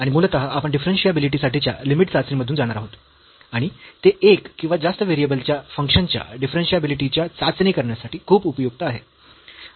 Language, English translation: Marathi, And basically we will go through the limit test for differentiability, and that is very useful to test differentiability of a function of more than one variable